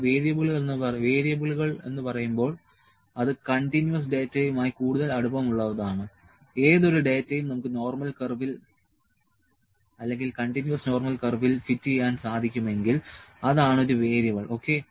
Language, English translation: Malayalam, When I say variables is more close to or more we define the continuous data, any data that we can fit on the normal curve continuous normal curve that is a variable, ok